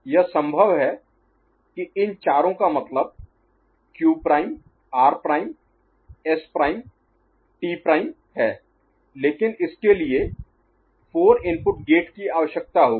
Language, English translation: Hindi, It is possible to have all these four that means, Q prime R prime S prime T prime right, but that will require a 4 input gate